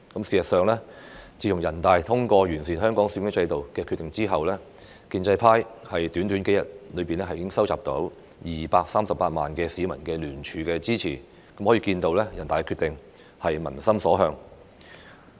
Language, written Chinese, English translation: Cantonese, 事實上，自從人大通過完善香港選舉制度的《決定》後，建制派短短數日已經收集到238萬名市民聯署支持，可見人大的《決定》是民心所向。, As a matter of fact within just a few days after NPC passed the Decision on improving the electoral system in Hong Kong the pro - establishment camp collected 2.38 million signatures from the public rendering their support . It shows that NPCs Decision is the peoples wish